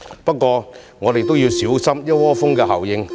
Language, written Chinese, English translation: Cantonese, 不過，我們應小心"一窩蜂"的效應。, However we should watch out for the bandwagon effect